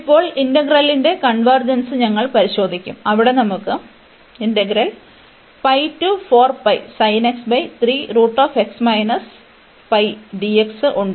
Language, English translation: Malayalam, We can now talk about the convergence of this integral